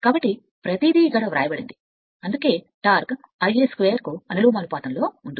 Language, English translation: Telugu, So, that is why this your everything is written here that is why torque is proportional to I a square